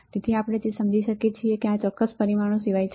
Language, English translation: Gujarati, So, what we also understand is that apart from these particular parameters